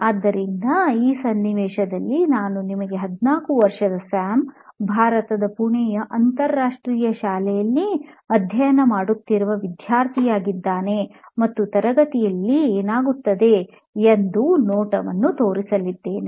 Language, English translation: Kannada, So in this situation what we are going to show you as a scene where this is Sam, a 14 year old school going student, he studies in an international school in Pune, India and let us see what happens in a classroom